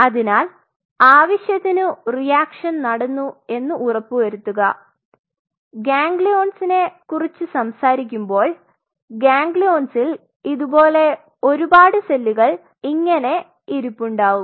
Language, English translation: Malayalam, So, you have to ensure that reaction happens of you know when we talk about these kinds of ganglions these ganglions have something like this it is a lot of cells which are sitting there